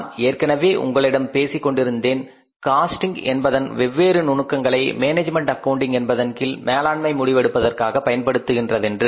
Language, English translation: Tamil, I was talking to you that there are different techniques of cost accounting which are used by the management accounting or under the management accounting for the management decision making